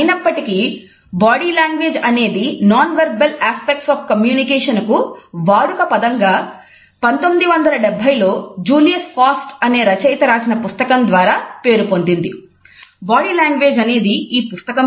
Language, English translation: Telugu, However, ‘body language’ was a layman’s term for ‘nonverbal’ aspects of communication which was popularized in 1970s with the publication of a book by Julius Fast